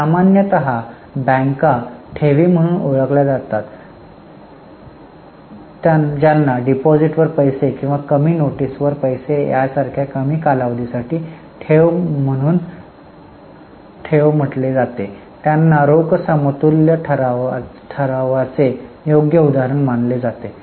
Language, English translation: Marathi, Normally banks accept deposits which are called as deposits which are for extremely short period like money at call or money at short notice they are considered as correct example of cash equivalent